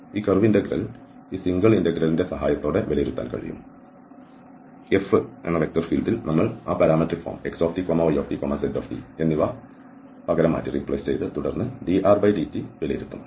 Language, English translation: Malayalam, And this curve integral can be evaluated with the help of this single integral that in F, in the vector field we will substitute those parametric form xt, yt, zt and then dr, dt will be evaluated